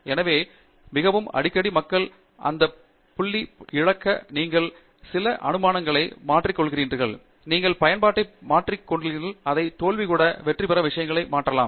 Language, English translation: Tamil, So, quite often people miss that point; you change some assumptions, you change the application, you can change so many things to make even your failure become a success